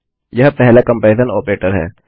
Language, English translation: Hindi, This is the first comparison operator